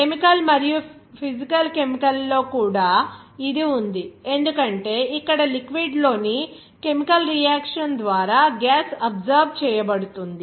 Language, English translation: Telugu, Even in chemical and physical chemical also it is there because here you will see that gas will be absorbed by a chemical reaction in a liquid also